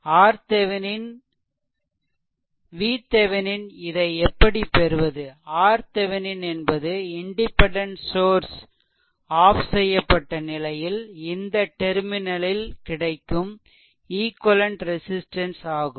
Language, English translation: Tamil, We have to know how to obtain it and R Thevenin is input or equivalent resistance at the terminal when the independent sources are turned off right